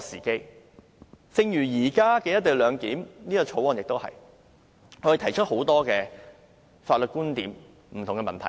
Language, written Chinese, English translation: Cantonese, 正如現時的《條例草案》亦如是，我們提出了很多法律觀點、不同的問題。, As in the present Bill we have voiced many legal points of view and various questions